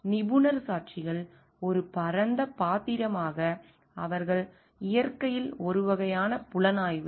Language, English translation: Tamil, Expert witnesses as a wider role they are more a sort of investigative in nature